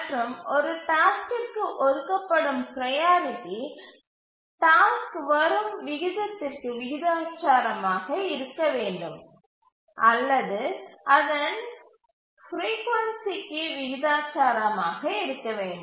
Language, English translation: Tamil, And the priority that is assigned to a task should be proportional to the rate at which the task arrives or the proportional to its frequency